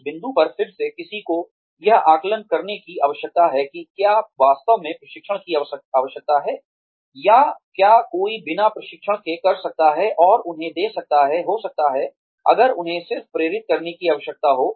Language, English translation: Hindi, At that point, again, one needs to assess, whether there is really a need for training, or, whether the one can do without training, and give them, maybe, if they just need to be motivated